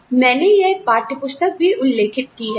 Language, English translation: Hindi, And, I have also refer to this textbook